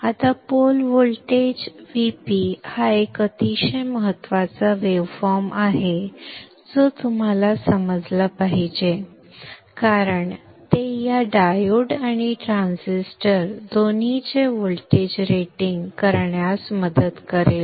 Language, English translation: Marathi, Now the port voltage VP is a very important waveform that you should understand because it will help in the rating both voltage rating of both this diode and the transistor